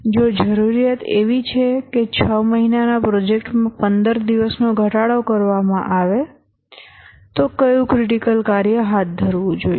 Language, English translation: Gujarati, If the requirement is, let's say, 15 days reduction in a six month project, which critical task to take up